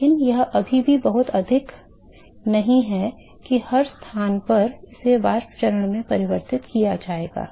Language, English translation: Hindi, But it is still not significantly higher that at every location it will be converted into a vapor phase